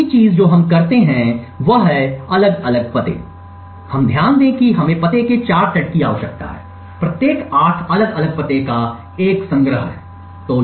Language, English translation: Hindi, The next thing we do is we craft different addresses, note that we require 4 sets of addresses, each is a collection of 8 different addresses